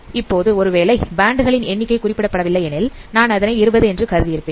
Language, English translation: Tamil, Now, if the number of band is in this case, it is not specified, I suppose the number of band is, if it is 20 in this case